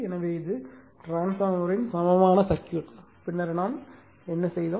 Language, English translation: Tamil, So, this is actually equivalent circuit of the transformer, then what we did